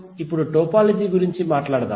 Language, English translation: Telugu, Now let us talk about the topology